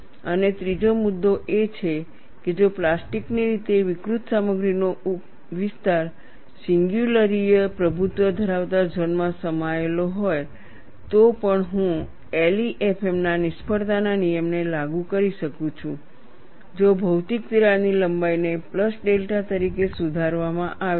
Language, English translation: Gujarati, And the third point is, if the region of plastically deformed material is contained within the singularity dominated zone, I can still apply the failure law of LEFM provided the physical crack length is corrected as a plus delta